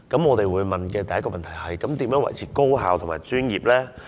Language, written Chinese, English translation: Cantonese, 我們會問的第一個問題是，如何維持高效及專業呢？, The first question we will ask is How to maintain an effective and professional team?